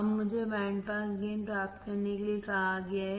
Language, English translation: Hindi, Now, I am asked to find the bandpass gain